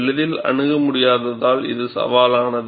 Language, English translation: Tamil, It is challenging, as it is not easily accessible